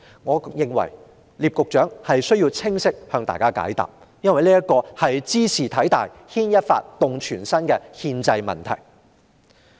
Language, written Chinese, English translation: Cantonese, 我認為聶局長需要清晰解答這個問題，因為茲事體大，是牽一髮而動全身的憲制問題。, It is necessary for Secretary NIP to give a clear answer to this important question as this constitutional issue which may seem minor in itself will have significant impact